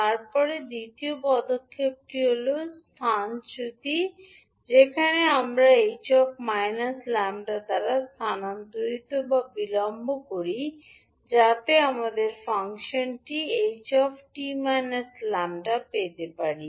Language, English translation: Bengali, Then second step is displacement where we shift or delay the h minus lambda by t so that we get the function h t minus lambda